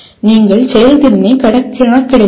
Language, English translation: Tamil, You are not calculating the efficiency